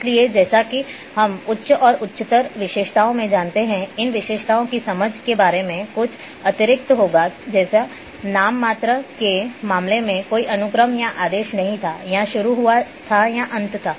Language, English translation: Hindi, So, as we go higher and higher attributes there will be some addition in the condition or a about the understanding of these attributes like a in case of nominal there were no sequence or order or a began or end was there